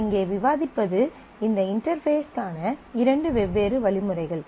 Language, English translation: Tamil, And what we discuss here is two different mechanisms for this interfacing